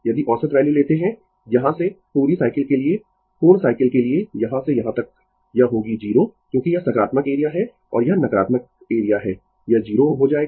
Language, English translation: Hindi, If you take average value from for the full cycle complete cycle from here to here, it will be 0 because this is positive area and this is negative area it will become 0